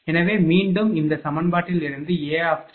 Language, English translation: Tamil, So, again from this equation A 3 A j j and D j j